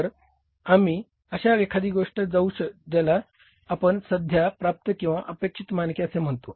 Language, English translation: Marathi, So then we go for something like we call it as currently attainable or expected standards